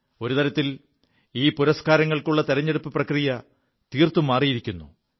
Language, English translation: Malayalam, In a way, the selection of these awards has been transformed completely